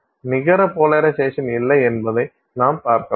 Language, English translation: Tamil, Then you would find that there is no net polarization